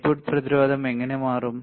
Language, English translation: Malayalam, How the input resistance will change